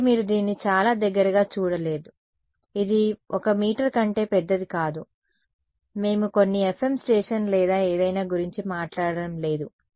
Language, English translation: Telugu, So, you guys have not seen it very close right it is not bigger than 1 meter right, we I am not talking about some FM station or something